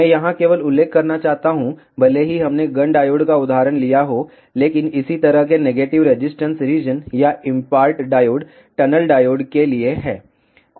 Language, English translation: Hindi, I just want to mention here, even though we took example of Gunn diode, but similar negative resistance region or they are for impart diode, tunnel diode